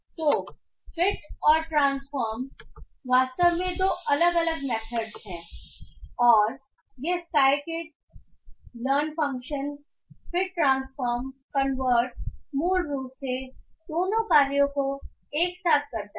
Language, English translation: Hindi, So fit and transform are actually two different methods and this cycle learn function fit transform convert basically performs both the functions together